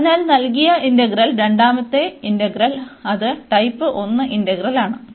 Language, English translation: Malayalam, And hence the given integral the second integral, which was the type 1 integral that also converges